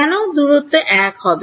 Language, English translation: Bengali, Distance why is it 1